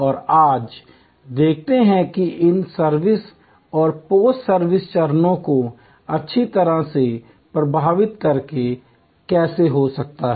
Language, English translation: Hindi, And let see today, how that can happen by managing the in service and the post service stages well